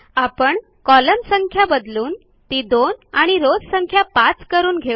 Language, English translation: Marathi, We will change the Number of columns to 2 and the Number of rows to 5